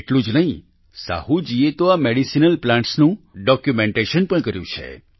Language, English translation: Gujarati, Not only this, Sahu ji has also carried out documentation of these medicinal plants